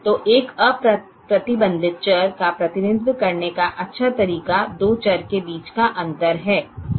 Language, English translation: Hindi, so a nice way of representing an unrestricted variable is the difference between the two variables